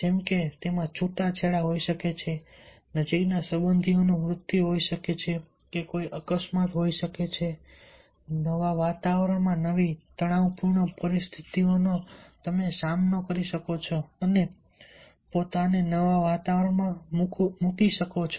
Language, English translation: Gujarati, may be a divorce, may be a death of the close relatives, or having an accident, or facing a stress, new stressful situations in a new environment, putting yourself in a new environment